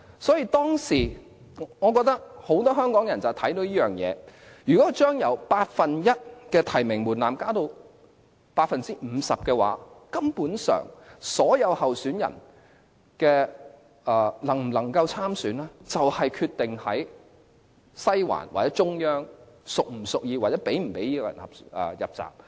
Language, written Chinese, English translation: Cantonese, 所以，我覺得當時有很多香港人看到這點，如果把由八分之一的提名門檻，增至 50%， 所有候選人能否參選，根本取決於西環或中央是否屬意該人，又或是否讓該人"入閘"。, Therefore I think many Hong Kong people could see the point at that time once the nomination threshold was raised from one eighth to half of the total membership of NC the eligibility of aspiring candidates would essentially be at the hands of Western District or the Central Authorities which would decide to let its preferred candidate or a particular candidate enter the race